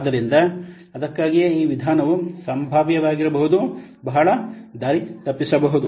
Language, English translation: Kannada, So that's why this method potentially may what may be very misleading